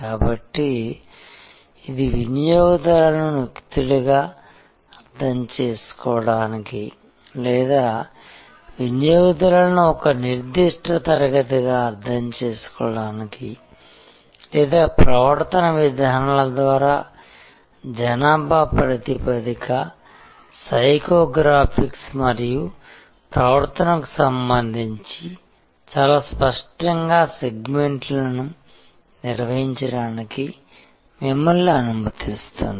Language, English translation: Telugu, So, it allows you to therefore, understand the customers as individuals or understand the customer as a particular class or define the segment much more clearly in terms of demographics, psycho graphics and behavior almost important by the behavioral patterns